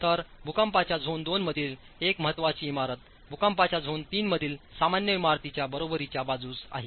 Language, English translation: Marathi, So, an important building in seismic zone 2 is considered on par with an ordinary building in seismic zone 3, right